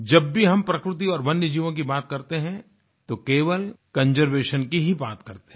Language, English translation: Hindi, Whenever we talk about nature and wildlife, we only talk about conservation